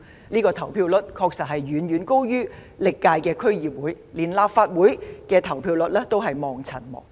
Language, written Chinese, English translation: Cantonese, 這個投票率確實遠高於歷屆區議會選舉，連立法會選舉的投票率也望塵莫及。, This turnout rate is indeed very much higher than the turnout rates of all past DC Elections . Even the turnout rates of Legislative Council Elections also lag far behind